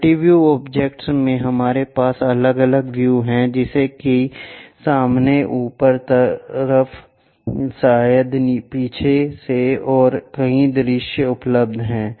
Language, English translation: Hindi, In multi view objects we have different views like front, top, side, perhaps from backside and many views available